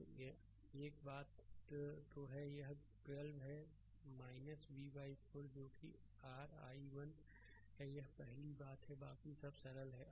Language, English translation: Hindi, So, same thing so, it is 12 minus v by 4 that is your i 1 this is the first thing rest are simple right